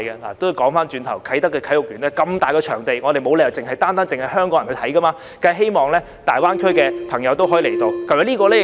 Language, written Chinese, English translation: Cantonese, 話說回頭，啟德體育園的場地那麼大，沒理由單單是香港人去觀賽的，我們當然希望大灣區的朋友都可以到來。, By the way the Kai Tak Sports Park is such a large venue that there is no reason why Hong Kong people should be the only ones to go to the games . We certainly hope that all our friends from GBA can come as well